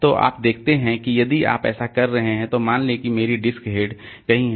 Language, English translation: Hindi, So, you see that if we are, so if we suppose my heart, my disc head is somewhere here